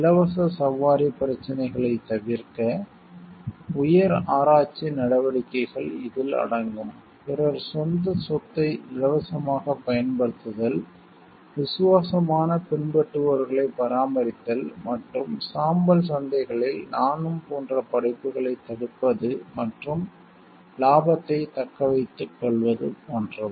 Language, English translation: Tamil, It involves high research activities, to avoid free riding problems; like, usage of own property by others for free, maintaining loyal followers and inhibiting like me too type of creations in grey markets and to retain the profits